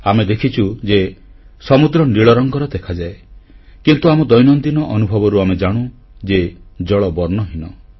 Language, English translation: Odia, All of us have seen that the sea appears blue, but we know from routine life experiences that water has no colour at all